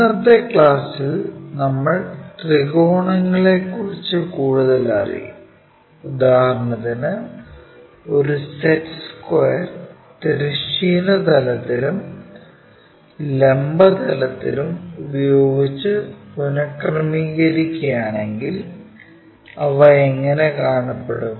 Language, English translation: Malayalam, In today's class we will learn more about triangles for example, a set square if it is reoriented with horizontal planes and vertical planes, how do they really look like